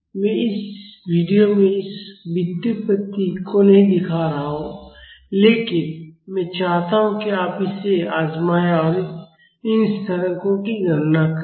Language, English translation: Hindi, I am not showing this derivation in this video, but I would like you to try this out and calculate these constants